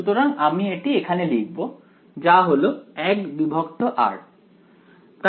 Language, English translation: Bengali, So we will just write it down, so it is 1 by r